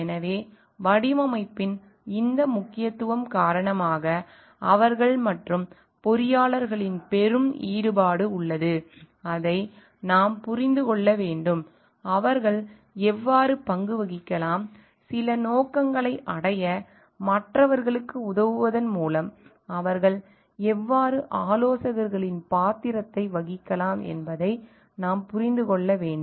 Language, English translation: Tamil, So, because of this importance of the design, they are and there is the great involvement of the engineers, who we need to understand that; we need to understand how they may play role, how they may play the role of advisors by helping others to like reach certain objectives